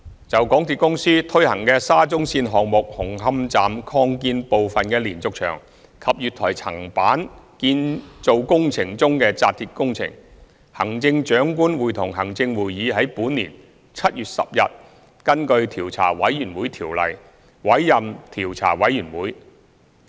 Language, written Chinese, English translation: Cantonese, 就港鐵公司推行的沙中線項目紅磡站擴建部分的連續牆及月台層板建造工程中的扎鐵工程，行政長官會同行政會議於本年7月10日根據《調查委員會條例》委任調查委員會。, Regarding the steel reinforcement fixing works in respect of the diaphragm wall and platform slab construction works at the Hung Hom Station Extension under the SCL Project implemented by MTRCL the Chief Executive in Council appointed a Commission of Inquiry under the Commissions of Inquiry Ordinance on 10 July this year